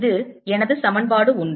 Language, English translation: Tamil, that is one equation i have